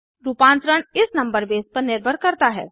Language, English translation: Hindi, The conversion depends on this number base